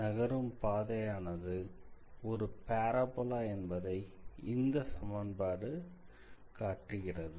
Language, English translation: Tamil, So, this shows that the path is a parabola